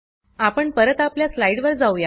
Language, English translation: Marathi, We will move back to our slides